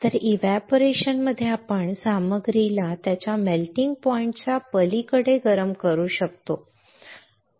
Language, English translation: Marathi, So, in evaporation we will see how we can heat the material beyond its melting point